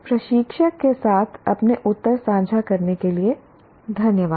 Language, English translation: Hindi, Thank you for sharing your answers with the instructor